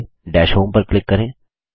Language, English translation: Hindi, First, click Dash Home